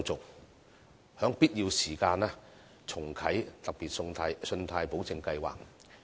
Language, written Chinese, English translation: Cantonese, 此外，在必要時可重啟"特別信貸保證計劃"。, Besides the Special Loan Guarantee Scheme should be relaunched when necessary